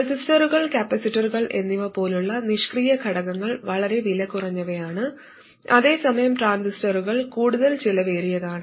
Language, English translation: Malayalam, There, typically passive components like resistors and capacitors are very inexpensive, whereas transistors are a lot more expensive